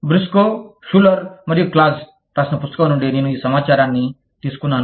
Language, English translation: Telugu, I have taken this information, from a book, written by Briscoe, Schuler, and Claus